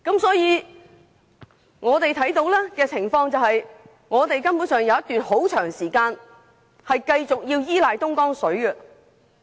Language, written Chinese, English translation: Cantonese, 所以，以我們所見的情況，香港還有一段很長時間須繼續依賴東江水。, Therefore we can foresee that for quite some time to come Hong Kong must still depend on Dongjiang River water